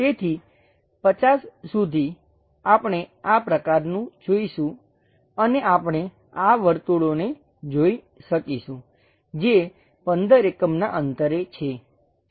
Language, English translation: Gujarati, So, up to 50, we will see this kind of thing and we will be in a position to really sense these circles which are at fifteen distance